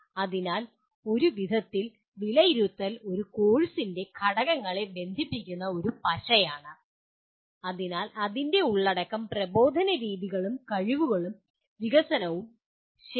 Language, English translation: Malayalam, So in a way assessment is a glue that links the components of a course, that is its content, instructional methods and skills and development, okay